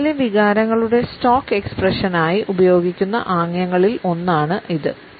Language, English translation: Malayalam, It also happens to be one of those gestures which are used as stock expressions of emotions in movies